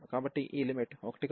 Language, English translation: Telugu, So, this limit will be coming as 1